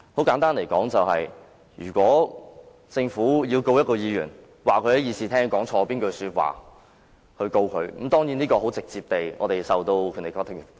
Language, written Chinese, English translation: Cantonese, 簡單而言，即使政府打算因議員在議事廳上一句錯誤的說話而作出起訴，議員是直接受《條例》保障的。, Simply put even if the Government intends to institute prosecution based on a Members erroneous utterance in this Chamber the Member is nonetheless directly protected by the Ordinance